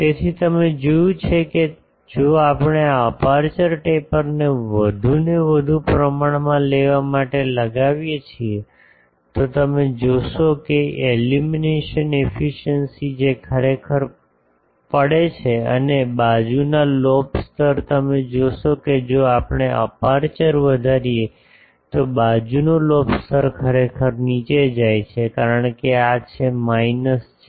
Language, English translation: Gujarati, So, you see that if we take the this aperture taper to be more and more for then you see that illumination efficiency that actually falls and side lobe level you see that if we increase the aperture taper the side lobe level actually goes down because this is minus 40